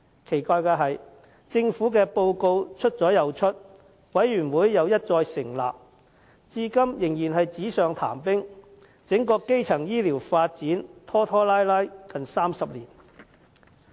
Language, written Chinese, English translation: Cantonese, 奇怪的是，政府的報告出了又出，委員會一再成立，但至今仍然是紙上談兵，整個基層醫療發展拖拖拉拉了近30年。, What is weird is that despite the release of one government report after another and the setting up of one committee after another the development of primary health care remains stuck on the drawing board as at today with the entire development dragged out for 30 years